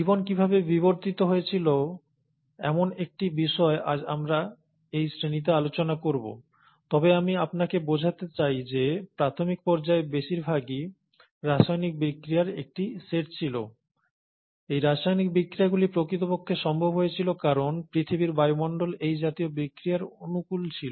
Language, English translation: Bengali, So, how did the life evolve is something that we’ll talk in this class today, but I want you to understand that a lot of this was initially a set of chemical reactions, and these set of chemical reactions were actually possible because the earth’s atmosphere was highly conducive for such reactions to happen